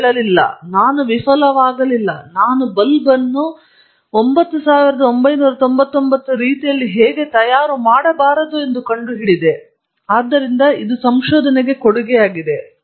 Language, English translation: Kannada, He said no, I didn’t fail; I found out how not to make a bulb in 9,999 ways, so that’s also a contribution to research